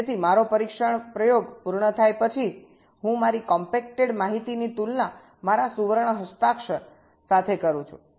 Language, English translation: Gujarati, so after my test experiment is done, i compare my compacted information against my golden signature